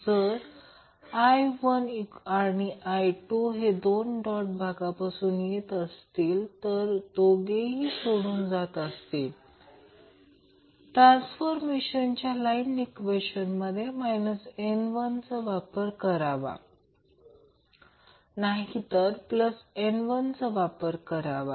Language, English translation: Marathi, Now, if current I1 and I2 both enters into the dotted terminal or both leave the dotted terminal, we use minus n in the transformer current equation, otherwise we will use plus n